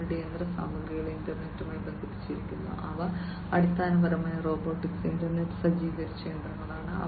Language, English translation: Malayalam, And their machinery are internet connected, they are basically robotic internet equipped machinery